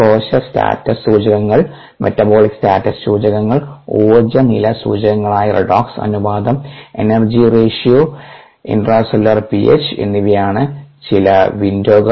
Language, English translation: Malayalam, some windows are the cell status indicators, the metabolic status indicators, energy status indicators such as redox ratio, ah, the energy ratio and the ah intercellularp h